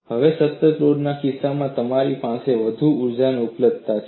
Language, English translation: Gujarati, Now, in the case of a constant load, you have more energy availability